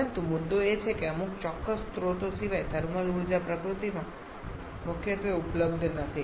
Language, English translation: Gujarati, But the issue is that thermal energy apart from some certain sources thermal energy is not freely available in nature